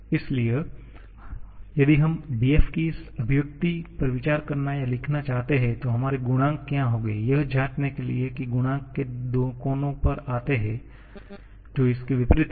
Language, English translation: Hindi, So, if we want to consider or write this expression of df then what will be our coefficients, to check the coefficients go to the two corners which are opposite to this